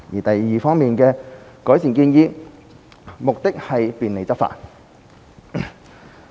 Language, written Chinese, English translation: Cantonese, 第二方面的改善建議，目的是便利執法。, The second aspect of improvement proposals seeks to facilitate enforcement actions